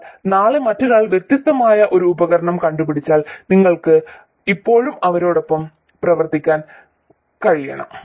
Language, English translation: Malayalam, But if tomorrow someone else invents a device which is different, you should still be able to work with them